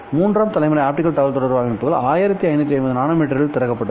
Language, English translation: Tamil, So this current optical communication technology works in the range of 1550 nanometer